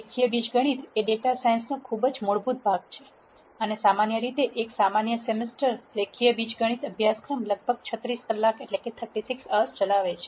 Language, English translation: Gujarati, Linear algebra is a very fundamental part of data science and usually a typical one semester linear algebra course will run for about 36 hours